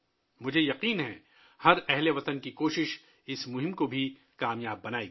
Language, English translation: Urdu, I am sure, the efforts of every countryman will make this campaign successful